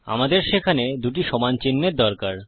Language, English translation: Bengali, We need double equals in there